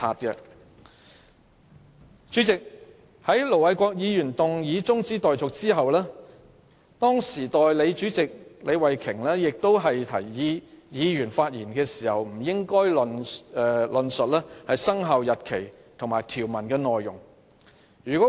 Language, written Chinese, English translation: Cantonese, 本會就盧偉國議員動議的中止待續議案辯論期間，代理主席李慧琼議員提醒議員發言時不應論述"生效日期"和有關條文的內容。, I hope Ir Dr LO Wai - kwok would take note of that . During the debate on Ir Dr LO Wai - kwoks adjournment motion Deputy President Ms Starry LEE reminded Members that they should not talk about the commencement date and the contents of the Notice